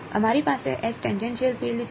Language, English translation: Gujarati, We have finding H tangential field